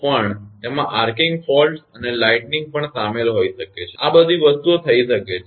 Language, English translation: Gujarati, But may also include the arcing faults and even lightning; all these things can happen